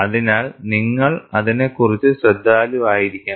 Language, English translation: Malayalam, So, you have to be careful about that